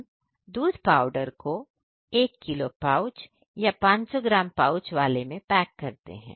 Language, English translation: Hindi, We are packing in a powder in a 1 kg pouch and 500 gram pouches